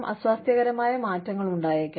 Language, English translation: Malayalam, There could be unsettling changes